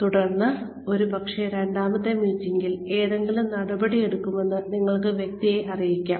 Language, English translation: Malayalam, And then, maybe in a second meeting, you can inform the person, that some action will be taken